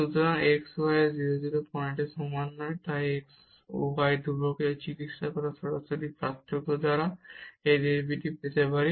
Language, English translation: Bengali, So, at x y not equal to 0 0 point, we can get this derivative by the direct differentiation of this treating this y constant